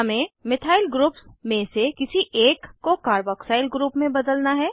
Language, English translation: Hindi, We have to convert one of the methyl groups to a carboxyl group